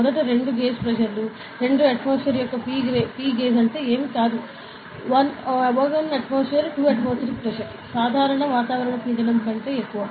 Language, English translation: Telugu, So, 2 gauge pressure of 2, P gauge of 2 atmosphere means nothing, but 1 atmospheric 2 atmospheric pressure greater than the normal atmospheric pressure ok, that is it